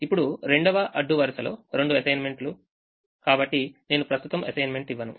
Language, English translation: Telugu, the second row has two assignments, so i don't make an assignment right now